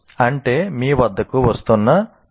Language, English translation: Telugu, And here possibly 99